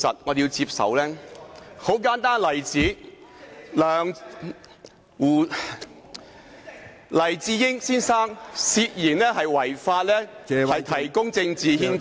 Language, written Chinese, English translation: Cantonese, 一個很簡單的例子是黎智英先生涉嫌違法提供政治獻金。, A very simple example is the suspected illegal offer of political donations by Mr Jimmy LAI